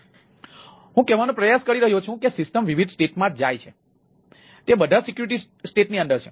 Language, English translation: Gujarati, that the system goes over different state, all are within the security state